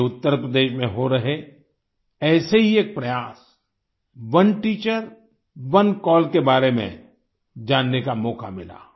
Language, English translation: Hindi, I got a chance to know about one such effort being made in Uttar Pradesh "One Teacher, One Call"